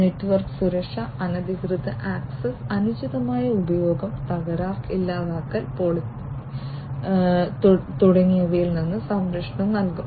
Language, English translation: Malayalam, So, network security would provide protection from unauthorized access, improper use, fault, deletion, demolition, and so on